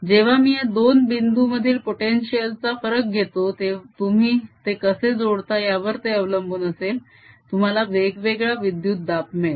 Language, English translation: Marathi, when i take voltage difference between these two points, depending on how i connect them, you will see that the voltage comes out to be different